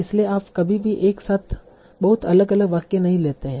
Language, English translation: Hindi, So you do not give any very drastically different sentences together